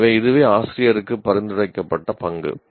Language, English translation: Tamil, So, that is a recommended role for the teacher